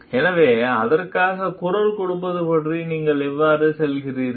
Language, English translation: Tamil, So, how do you go about voicing for it